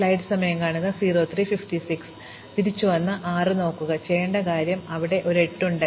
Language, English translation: Malayalam, So, we come back and look at 6 again, and see if there is anything new to be done, there is, there is an 8